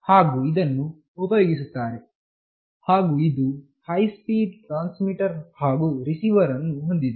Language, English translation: Kannada, And this is used and consists of high speed transmitter and receiver